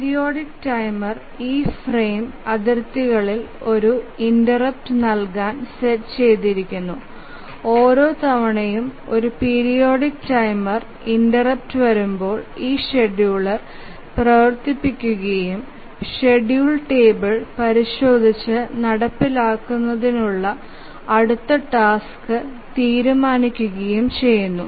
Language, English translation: Malayalam, And the periodic timer is set to give an interrupt at these frame boundaries and each time a periodic timer interrupt comes, the scheduler runs and decides the next task to execute by consulting the schedule table